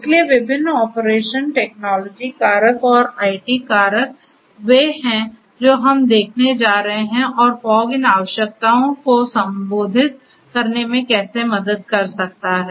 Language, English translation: Hindi, So, different operation technologies factors and IT factors is what we are going to look at and how fog can help in addressing these requirements